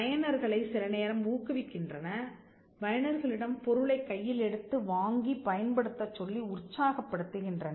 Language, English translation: Tamil, They sometime encourage users; they sometimes encourage users to take up and to buy the product and to use the product